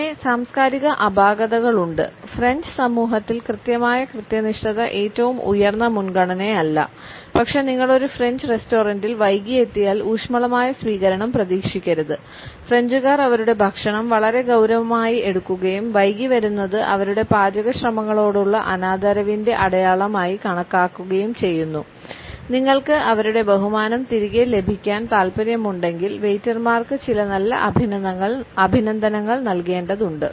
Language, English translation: Malayalam, And then there are cultural anomalies; in French society absolute punctuality is not the highest priority, but if you arrive late at a French restaurant do not expect a warm welcome the French take their food very seriously and consider lateness a sign of disrespect for their culinary efforts you had a better pay some serious compliments to the waiters if you want to get back in there good books